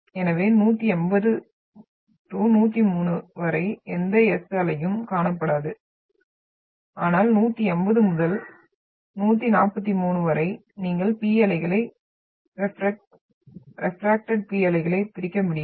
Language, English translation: Tamil, So no S wave will be seen between like one 103 upto 180 but between 180 and 143, you will be able to catch P waves which are refracted P waves